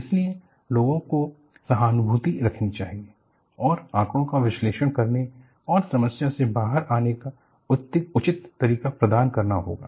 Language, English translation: Hindi, So, people have to be sympathetic and provide proper way of analyzing data and come out of the problem